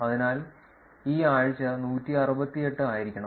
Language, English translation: Malayalam, So, this is 168 should be the week